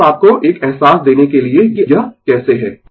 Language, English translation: Hindi, So, just to give you a feeling that how it is